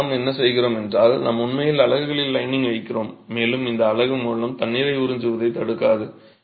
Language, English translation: Tamil, And then what we do is that we actually place lining on the face of the units and this lining will actually absorb the, will not inhibit the absorption of water by the unit